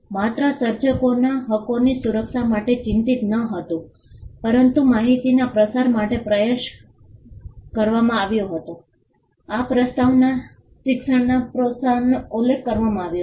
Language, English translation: Gujarati, Not only was concerned with protecting the rights of the creators, but it was also tried to the dissemination of information, the preamble mentioned the encouragement of learning